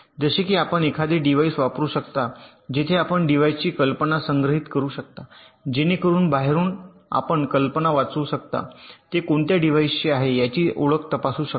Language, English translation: Marathi, like you can use a register very stored, the idea of a device, so that from outside you can read out the idea and check the identity of the device, which device it is ok